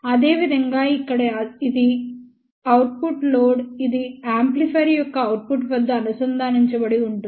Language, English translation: Telugu, Similarly over here this is the output load which is connected at the output of the amplifier